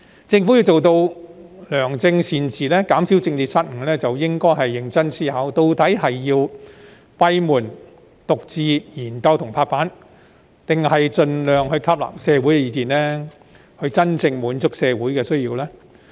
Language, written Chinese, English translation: Cantonese, 政府要做到良政善治，減少施政失誤，便應認真思考，究竟要閉門獨自研究及拍板，還是盡量吸納社會意見，以真正滿足社會需要呢？, In order to achieve benevolent governance and reduce policy blunders the Government should consider seriously whether it should examine and decide on policies alone behind closed doors or incorporate public views by all means to truly address the needs of society